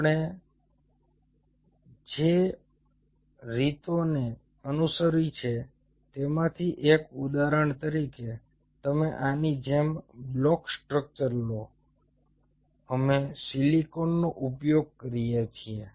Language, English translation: Gujarati, one of the ways what we followed is: say, for example, you take a block structure like this, we use silicon, so i am just giving an example of silicon